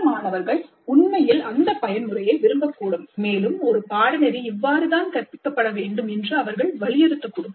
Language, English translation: Tamil, Some of the students may actually like that mode and they may insist that that is how the courses should be taught